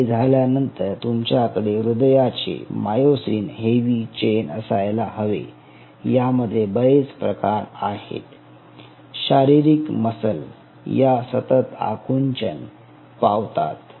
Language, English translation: Marathi, cardiac has a very different kind of myosin heavy chain, unlike, unlike the skeletal muscle, because these cells continuously contract